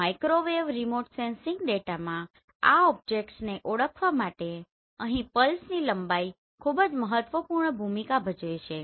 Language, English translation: Gujarati, Here the length of the pulses plays very critical role in order to identify these objects in Microwave Remote Sensing data